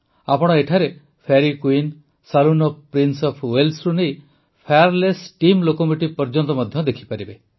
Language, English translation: Odia, You can also find here,from the Fairy Queen, the Saloon of Prince of Wales to the Fireless Steam Locomotive